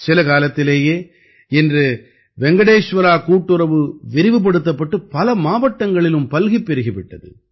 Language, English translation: Tamil, Today Venkateshwara CoOperative has expanded to many districts in no time